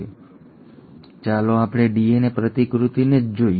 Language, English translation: Gujarati, Now, let us look at the DNA replication itself